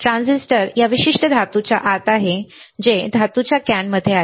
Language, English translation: Marathi, Transistor is within this particular metal can all right within the metal can